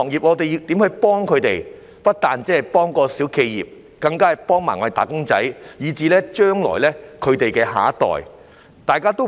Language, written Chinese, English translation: Cantonese, 我們不單要幫助小企業，更要幫助"打工仔"，以至他們的下一代。, We should help not only small enterprises but also wage earners and even their next generation